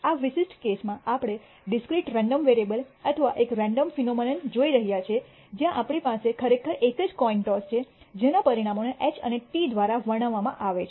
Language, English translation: Gujarati, In this particular case we are looking at the discrete random variable or a random phenomena where we actually have a single coin toss whose outcomes are described by H and T